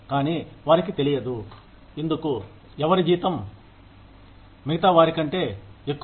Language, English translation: Telugu, But, they do not know, why somebody salary is, higher than theirs